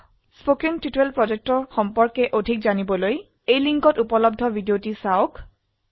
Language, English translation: Assamese, To know more about the Spoken Tutorial project, watch the video available at the following link